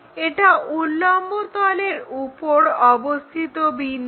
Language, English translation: Bengali, And this is a point on vertical plane